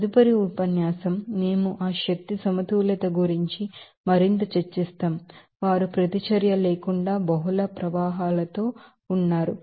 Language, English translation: Telugu, So, next lecture, we will discuss more about that energy balance, they are with multiple streams without reaction would be considering